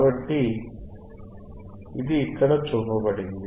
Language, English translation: Telugu, So, this is what is shown here